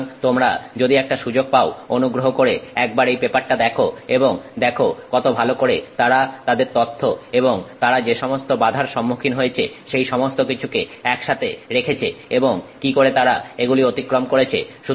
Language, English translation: Bengali, So, if you get a chance, please take a look at this paper and you can see how well they have put it all together, the challenges they faced, how they overcame it, and also their data